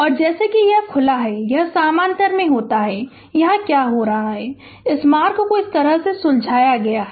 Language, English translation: Hindi, And for as soon as it is open it is in parallel, so what is happening here that your this one as this path is sorted